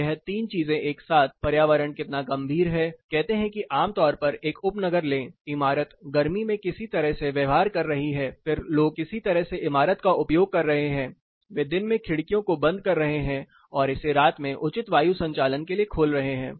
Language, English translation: Hindi, So, these 3 things together how harsh is the environment say typically take a suburb the building is behaving in some manner in summer then the people are using the building in some way they are closing the windows in the daytime opening it in the night time for proper night ventilation